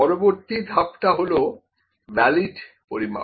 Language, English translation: Bengali, So, next is valid measurement